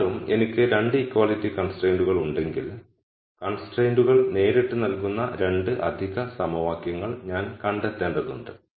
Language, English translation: Malayalam, Nonetheless if I had 2 equality constraints I need to find the 2 extra equations which are directly given by the constraints